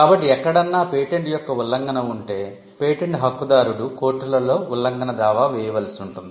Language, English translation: Telugu, So, if there is an infringement of a patent, the patent holder will have to file an infringement suit before the courts